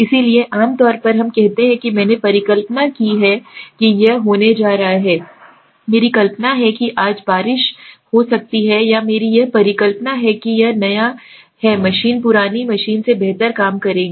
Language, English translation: Hindi, So as a normally we say I hypothized that this is going to happen, my hypothesis that today it might rain or I have a hypothesis that this new machine will work better than the old machine